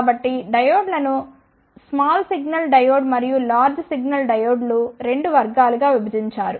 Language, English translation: Telugu, So, the diodes are divided into 2 categories small signal diode and the large signal diodes